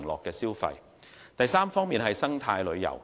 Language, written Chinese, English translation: Cantonese, 第三，發展生態旅遊。, Third develop ecological tourism